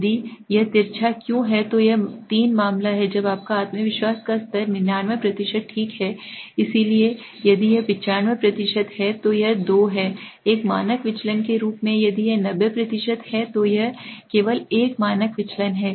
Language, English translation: Hindi, If why it is skew which case it is 3 when your confidence level is at 99% okay, so if it 95% it is 2 as a standard deviation, if it is 90% then it is only 1 standard deviation